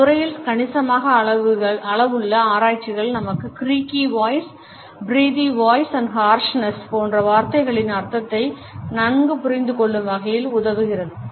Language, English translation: Tamil, A considerable amount of research in this field has equipped us with a better understanding of the meaning of such terms as creaky voice, breathy voice and harshness